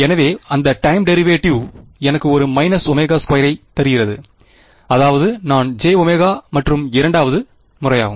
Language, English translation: Tamil, So, that time derivate give me a minus omega square I mean j omega and the second time